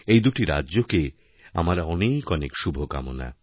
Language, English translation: Bengali, I wish the very best to these two states